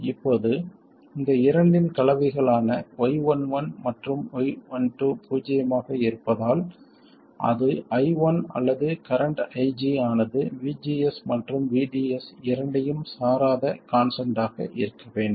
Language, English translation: Tamil, Now the combination of these 2 here, Y1 and Y12 being 0, it said that I1 or the current IG must be constant that is independent of both VGS and VDS